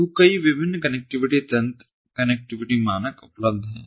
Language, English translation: Hindi, so many different connectivity mechanisms, connectivity standards are available